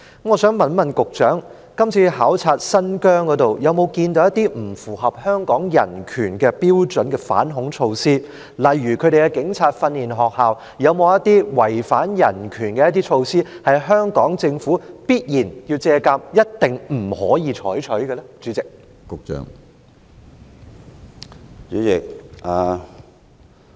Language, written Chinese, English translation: Cantonese, 我想問局長，這次到新疆考察有否看到一些不符合香港人權標準的反恐措施，例如新疆的警察訓練學校有否一些違反人權的措施，是香港政府要借鑒，一定不能夠採取的呢？, May I ask the Secretary if counter - terrorism measures that fail to comply with Hong Kongs human right standards have been observed during this visit to Xinjiang for example whether Xinjiangs police training school has adopted any measure that violated human rights from which the Hong Kong Government should draw reference and must not adopt?